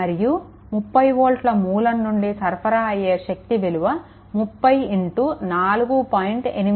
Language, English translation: Telugu, And power supplied by the 30 volt source, it is 30 into 4